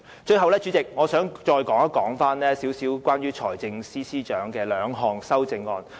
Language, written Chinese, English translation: Cantonese, 主席，最後，我想再談談財政司司長提出的兩項修正案。, Chairman finally I wish to discuss two of the amendments proposed by the Financial Secretary